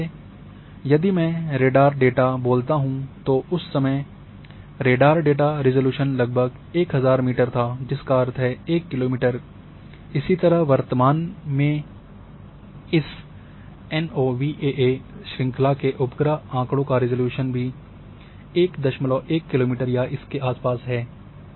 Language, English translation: Hindi, For example, if I say radar data at that time radar data resolution was around 1000 meter that means, 1 kilometre, similarly that presently this NOAA series of satellite data is also having about 1